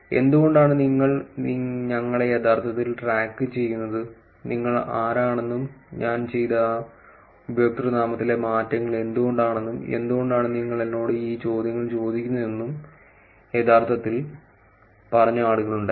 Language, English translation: Malayalam, There were people who actually said why you actually tracking us, who are you and why you actually understanding username changes that I have done, why you asking me all these questions